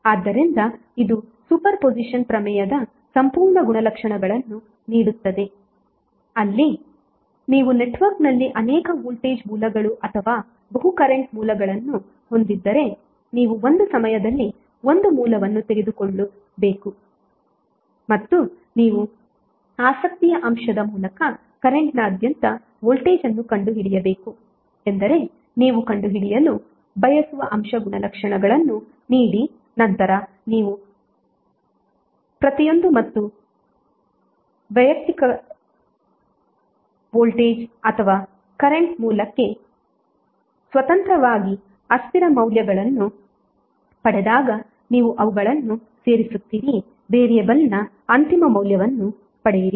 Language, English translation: Kannada, So this will give a complete property of super position theorem where if you have multiple voltage sources or multiple current sources in the network you have to take a 1 source at a time and find the voltage across a current through an element of your interest means the given element property which you want to find out and then when you get the variables value independently for each and individual voltage or current source you will add them up get the final value of the variable